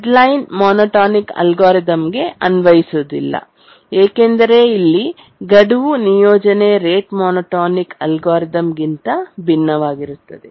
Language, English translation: Kannada, would not apply to the deadline monotonic algorithm because here the deadline assignment is different than the rate monotonic algorithm